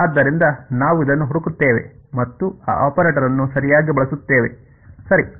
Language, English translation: Kannada, So, this we just look up and use it that is the operator right